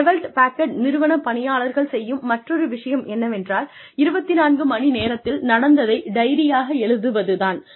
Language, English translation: Tamil, Another thing, that employees of Hewlett Packard do is, write up 24 hour diaries, which is a log of activities, during one workday